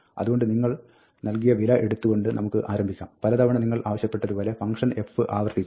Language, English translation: Malayalam, So, we start with the value that you are provided, and as many times as you are asked to, you keep iterating function f